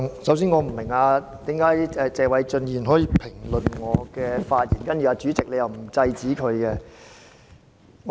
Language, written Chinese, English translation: Cantonese, 首先，我不明白為何謝偉俊議員可以評論我的發言，然後主席又沒有制止他。, First I do not understand why Mr Paul TSE is allowed to comment on my speech and the President has not stopped him